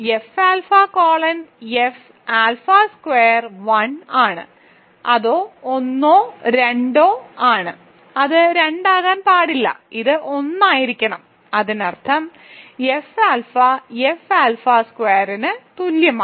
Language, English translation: Malayalam, Hence, F alpha colon F alpha squared is 1; it is either 1 or 2, it cannot be 2, so it has to be 1; that means, F alpha is equal to F alpha squared, right